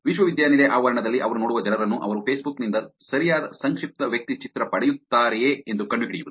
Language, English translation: Kannada, Finding the people who they see in the campus whether they will get the right profile from the Facebook